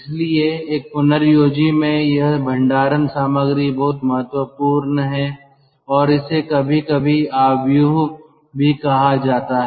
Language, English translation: Hindi, so in a regenerator this storage material is very important and that is sometimes also called matrix